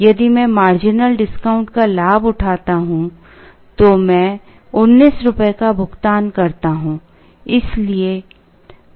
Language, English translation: Hindi, If I avail the marginal discount, I pay 19 rupees